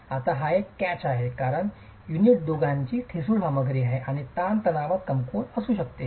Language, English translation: Marathi, Now that's a catch because unit is the brittle material of the two and could be weak in tension